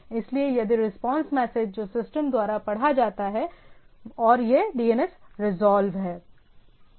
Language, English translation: Hindi, So, it if the response message which is read by the system and it is the DNS is resolved